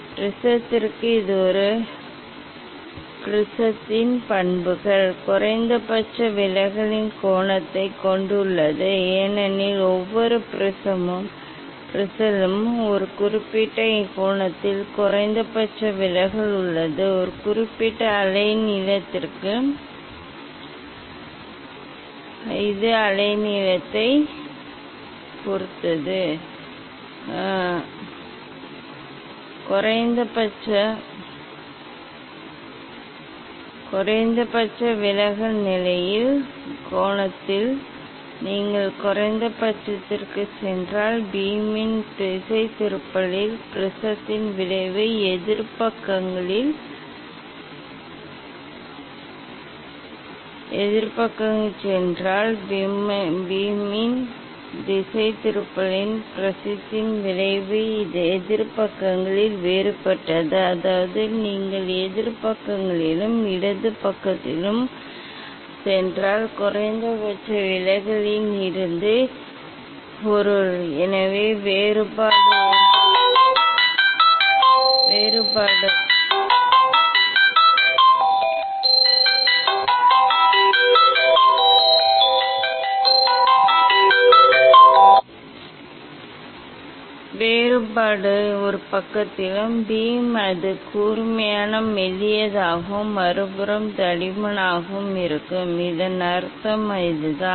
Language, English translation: Tamil, for prism this is the characteristics of a prism, having the angle of minimum deviation, for each prism has a particular angle of minimum deviation, for a particular wavelength of course it depends on wavelength, if you go to the minimum at the angle of minimum deviation position, the effect of the prism on the divergence of the beam is different on opposite sides, means from minimum deviation if you go in opposite sides, left side and side, so divergence of beam in one side it will be sharper thinner and other side it will be thicker, that is what the meaning of this